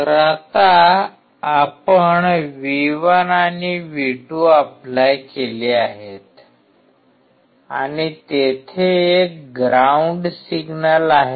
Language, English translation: Marathi, So, now we have applied V1 and V2 and there is a ground signal